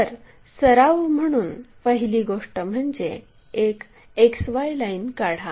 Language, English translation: Marathi, So, the first thing as a practice draw a XY line